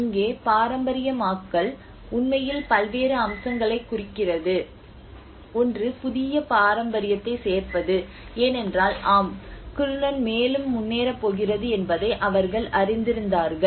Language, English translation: Tamil, And here the heritagisation have actually referred to various aspects; one is the addition of new heritage because when they came to know that yes the Kiruna is going to move further